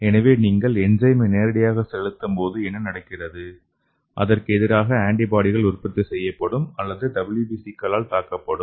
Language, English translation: Tamil, So when you inject the enzyme directly what happens is, antibody will be produced against that or your WBC will attack okay